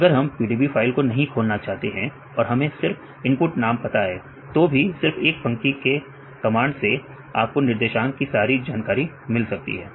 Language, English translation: Hindi, If we do not have to open the PDB file just if you know the input name right in one line you can get all the information regarding the coordinates right